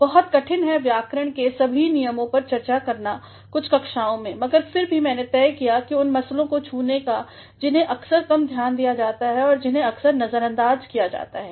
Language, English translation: Hindi, It is very difficult to talk about all the rules of grammar in a few classes, but then I have decided to touch upon those issues which at times are being paid less attention and which at times are being ignored